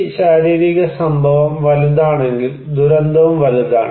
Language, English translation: Malayalam, If this physical event is bigger, disaster is also big